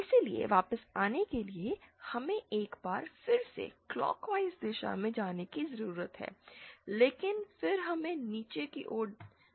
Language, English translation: Hindi, So, to come back we need to move in a clockwise direction once again but then we need to go downwards